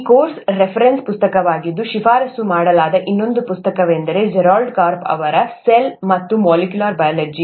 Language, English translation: Kannada, Another book that is also recommended as a reference book for this course is “Cell and Molecular Biology” by Gerald Karp